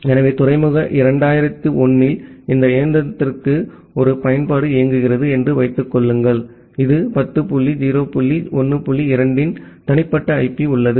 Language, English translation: Tamil, So, this is the thing say assume that one application is running to this machine at port 2001 that has a private IP of 10 dot 0 dot 1 dot 2